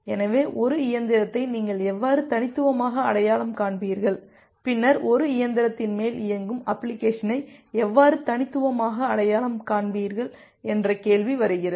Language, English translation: Tamil, So, the question comes that how will you uniquely identify a machine, and then how will you uniquely identify an application running on top of a machine